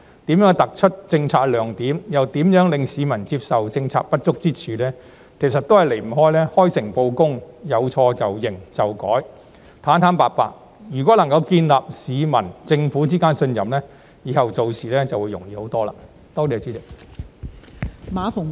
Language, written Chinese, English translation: Cantonese, 如何能突出政策亮點，又令市民接受政策的不足之處，其實也離不開"開誠布公"，有錯便承認和改正，坦坦白白，建立市民與政府之間的信任，這樣以後做事便容易得多。, How can we highlight policy bright spots and at the same time make the public accept policy shortcomings? . Actually it all comes down to sincerity and honesty . Frank admission and correction of any mistakes and hence the establishment of trust between the public and the Government will make things much easier in the future